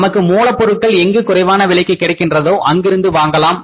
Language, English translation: Tamil, We should buy the raw material from those sources where it is available at the cheaper price